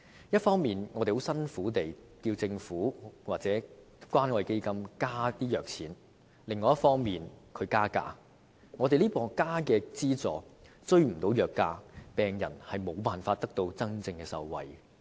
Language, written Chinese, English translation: Cantonese, 一方面，我們很辛苦地要求政府或關愛基金增加藥物資助，但另一方面，藥廠卻加價，增加的資助追不上藥價，病人無法能真正受惠。, On the one hand we have taken great pains to urge the Government or the Community Care Fund to increase the drug subsidies but on the other the pharmaceutical companies have increased the prices of drugs . If the increased subsidies cannot catch up with the prices of drugs it would be impossible for patients to truly benefit from the subsidies